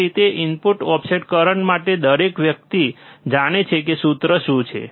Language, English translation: Gujarati, So, for that input offset current, everybody knows what is the formula is